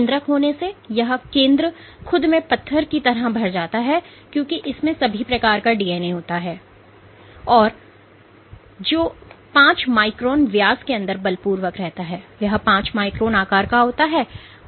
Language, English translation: Hindi, So, having a nucleus, the nucleus is get fill like a stone inside itself because it has all the DNA which is forced inside a 5 micron diameter, 5 micron size nucleus